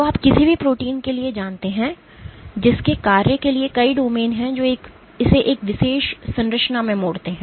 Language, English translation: Hindi, So, you know for any protein which has multiple domains for its function it folds into one particular structure